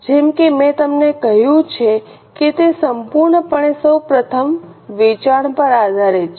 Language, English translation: Gujarati, As I have told you it is totally based on sales first of all